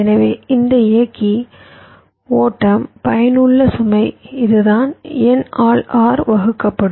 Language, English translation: Tamil, so the effective load that this driver will be driving will be this will be r divide by n